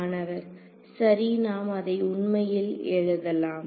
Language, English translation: Tamil, So, let us actually write that down ok